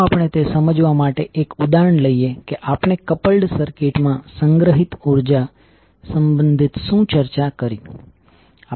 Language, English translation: Gujarati, So let us now let us take one example to understand what we discussed related to energy stored in the coupled circuit